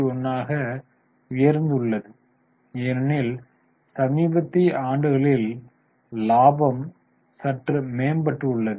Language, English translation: Tamil, 41, it has gone up now because recent years the profitability is bit improved